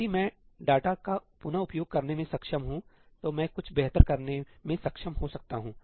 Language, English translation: Hindi, If I am able to reuse data, I may be able to do something better